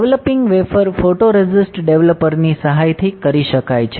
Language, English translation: Gujarati, Developing wafer can be done with the help of photoresist developer